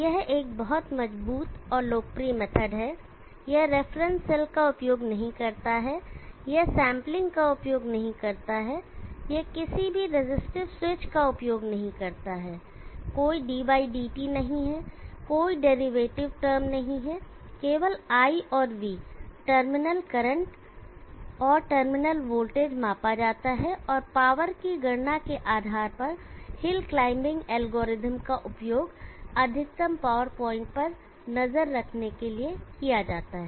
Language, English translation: Hindi, It is a very robust and popular method, it does not use the reference cell, it does not use sampling, it does not use any resistive switches there is no d/dt, no derivative terms only I and V terminal current and terminal voltage are measured, and based on the calculation of the power the hill climbing algorithm is used for tracking the maximum power point